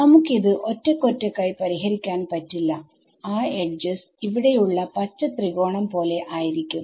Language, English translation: Malayalam, Well we cannot independently solve it because those edges finally, like the last look at this green triangle over here we